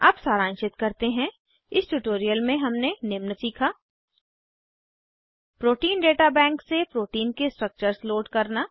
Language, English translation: Hindi, Let us summarize, in this tutorial we have learnt to: * To Load structures of protein from Protein Data Bank